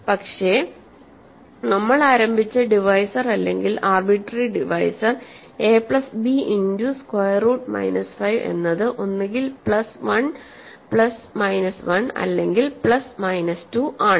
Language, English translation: Malayalam, But I should write, but immediately you see that the divisor we started with, the arbitrary divisor that we started with a plus b times square root minus 5 is either plus 1 plus minus 1 or plus minus 2